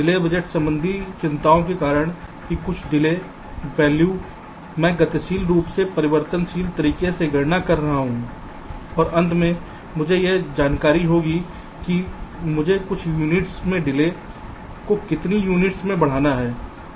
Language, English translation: Hindi, delay budgeting concerns that, that some delay values i dynamically calculating in a alterative way and at the end it will give me by how much units i have to increase the delay in certain lines